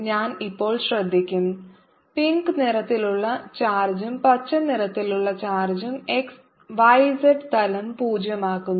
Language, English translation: Malayalam, now you will notice that the charge in pink and charge in green make the potential zero on the y z plane